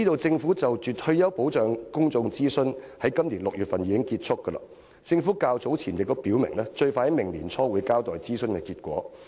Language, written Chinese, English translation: Cantonese, 政府就退休保障進行的公眾諮詢已於今年6月結束，政府較早前已表明，最快會於明年年初交代諮詢結果。, The public consultation on retirement protection conducted by the Government ended in June this year . The Government has indicated earlier that the consultation results will be released early next year at the earliest